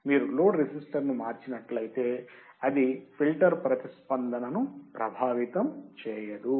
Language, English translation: Telugu, If you change the load resistor, it will not affect the filter response